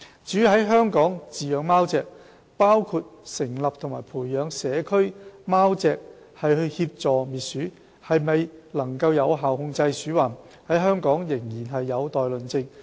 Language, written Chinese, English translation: Cantonese, 至於在香港飼養貓隻，包括成立和培養社區貓隻協助滅鼠，是否能有效控制鼠患，在香港仍然有待論證。, As for whether keeping cats in Hong Kong is effective in controlling rodent including establishing and nurturing community cats to assist in eliminating rodent this has yet to be proved empirically